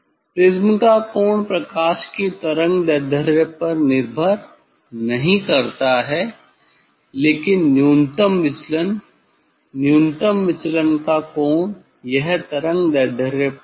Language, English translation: Hindi, Angle of the prism does the different on the wavelength of the light, but minimum deviation; angle of minimum deviation it depends on the wavelength